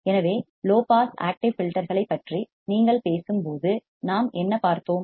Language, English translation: Tamil, So, when you talk about the low pass active filters what have we seen